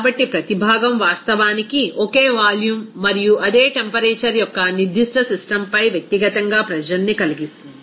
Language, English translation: Telugu, So each component will actually exert the pressure individually on that particular system of the same volume and the same temperature